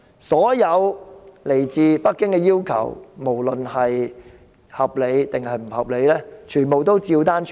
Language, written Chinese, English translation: Cantonese, 所有來自北京的要求，無論合理或不合理，她照單全收。, All demands from Beijing reasonable or otherwise are fully compiled with by her